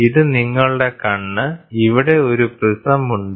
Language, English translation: Malayalam, So, here is your eye so, here is a prism